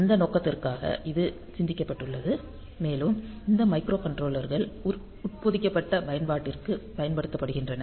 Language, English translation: Tamil, So, there for that purpose this has been thought about and since these microcontrollers are used for embedded application